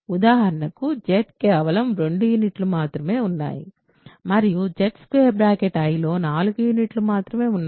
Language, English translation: Telugu, For example, Z has only 2 units and Z i has only 4 units